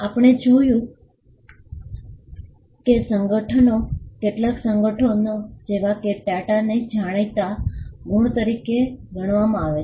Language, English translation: Gujarati, We have seen that some conglomerates like, TATA are regarded as well known marks